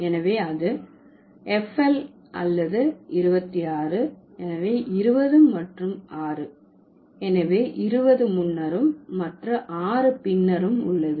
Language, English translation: Tamil, So, when it is chubis or 26, so 20 and 6, so 2 is here and 6 is later